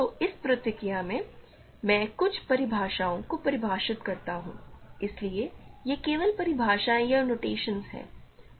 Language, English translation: Hindi, So, in this process, let me define give some definitions so, these are just definitions or notations